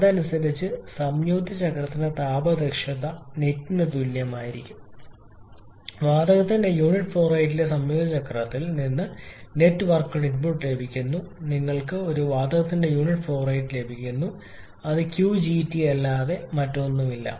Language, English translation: Malayalam, The thermal efficiency for the combined cycle will be equal to the net output that we getting from the combined cycle per unit flow rate of the gas accordingly the thermal efficiency for the combined cycle will be equal to the net output that you are getting falling in front of the gas, which is nothing but Q gas turbine and the efficiency becoming as 48